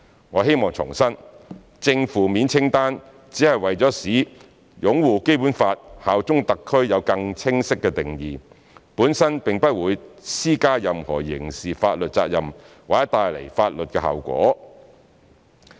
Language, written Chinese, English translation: Cantonese, 我希望重申，正、負面清單只是為了使"擁護《基本法》、效忠香港特區"有更清晰的定義，本身並不會施加任何刑事法律責任或帶來法律後果。, I would like to reiterate that the positive and negative lists only seek to define upholding the Basic Law and bearing allegiance to HKSAR more clearly and will not impose any criminal liability or bring legal consequences